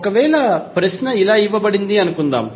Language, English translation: Telugu, Suppose the question is given like this